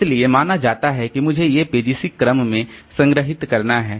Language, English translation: Hindi, So, suppose I have got these pages stored in this order